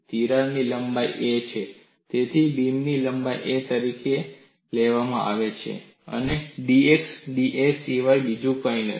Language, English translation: Gujarati, The length of the crack is a; so, the beam length is taken as a, and dx is nothing but da